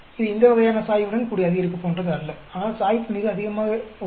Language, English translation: Tamil, It is not like this type of increase with the slope, but the slope is very very high